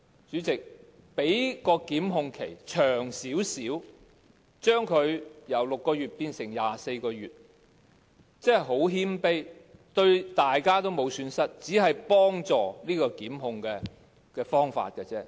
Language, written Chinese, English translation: Cantonese, 主席，把檢控限期由6個月稍為延長至24個月，只是很謙卑的要求，對大家也沒有損失，只是一個幫助檢控的方法。, Chairman slightly extending the time limit for prosecution from 6 months to 24 months is just a humble request that will not cause any loss to anyone . It is just a means to help initiate prosecutions